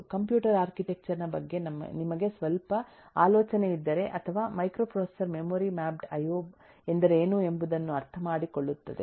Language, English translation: Kannada, I mean if you have some idea about computer architecture or microprocessor will understand what is memory mapped io